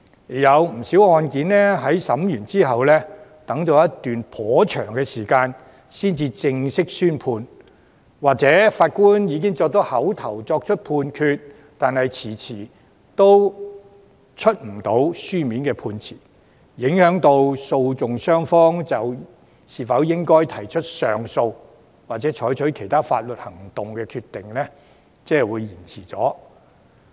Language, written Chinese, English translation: Cantonese, 也有不少案件在審訊後頗長時間才正式宣判，又或是法官已經作出口頭判決，但遲遲未能發出書面判詞，令訴訟雙方提出上訴或採取其他法律行動的決定被拖延。, Judgments of many cases were delivered quite a long time after the trial . In some cases oral verdicts are given but the delivery of written judgments is severely deferred thus delaying the parties decision to appeal or take other legal actions